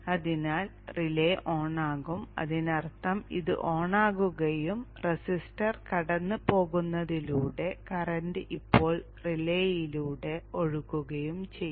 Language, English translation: Malayalam, So the relay will turn on which means this will turn on and the current will now flow through the relay bypassing the resistor